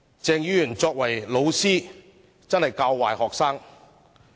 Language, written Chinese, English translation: Cantonese, 鄭議員作為老師，真是學生的壞榜樣。, Dr CHENG being a teacher himself has indeed set a bad example for students